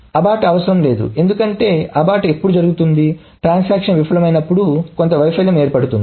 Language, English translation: Telugu, The abort is not needed because when does an abort happen when the transaction fails